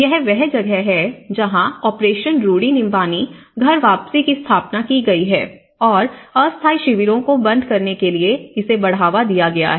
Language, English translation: Hindi, So, this is where the operation rudi nyumbani return home has been set up and it has been accelerated to close the temporary camps